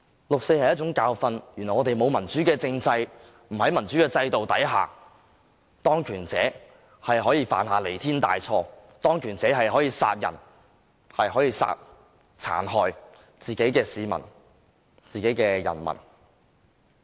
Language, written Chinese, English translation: Cantonese, 六四是一種教訓，原來我們沒有民主的政制，在沒有民主的制度下，當權者可以犯下彌天大錯，可以殺人，可以殘害自己的人民。, The 4 June incident is a bitter lesson which has enabled us to understand that in a place without any democratic political regime or democratic system those in power can commit the unacceptable evil deed of killing and doing cruelty to people . We must firmly remember this bitter lesson